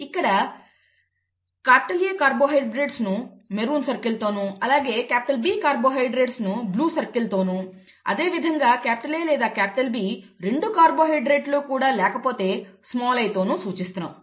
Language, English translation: Telugu, And I A or an A carbohydrate is represented by a maroon circle, a B carbohydrate by or a red circle, B carbohydrate by a blue circle and if there are no carbohydrates neither A nor B and it is small i